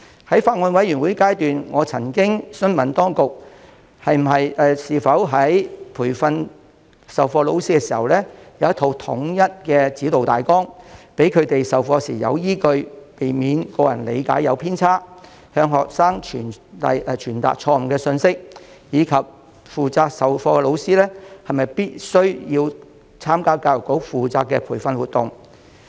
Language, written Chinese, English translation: Cantonese, 在法案委員會進行審議的階段，我曾詢問當局有否在培訓授課老師方面制訂一套統一的指導大綱，讓他們在授課時有所依據，避免個人理解出現偏差，向學生傳達錯誤信息，而負責授課的老師又是否必須參加教育局負責的培訓活動。, During deliberation by the Bills Committee formed to study the Bill I have asked whether the authorities had prescribed a set of standardized guidelines for teacher training which would serve as a reference basis for teaching the subject with a view to avoiding disseminating wrong information to students due to misunderstanding on the part of teachers themselves; and whether teachers teaching the subject would be required mandatorily to attend training courses organized by the Education Bureau